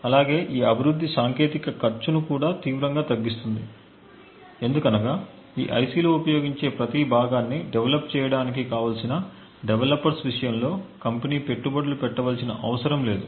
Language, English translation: Telugu, Also, this technique of development also reduces the cost drastically because the company would not need to invest in developers to develop each and every component that is used in that IC